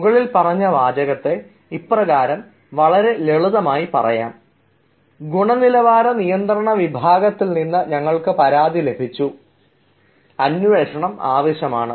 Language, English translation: Malayalam, i mean we can simply say: we have received complaints from quality control division and investigation is needed